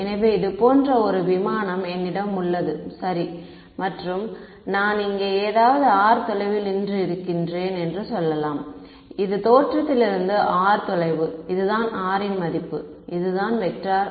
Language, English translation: Tamil, So, let us say that I have a aircraft like this alright and I am standing somewhere far over here r right, this is the distance r from the origin this is the value r this is the vector r hat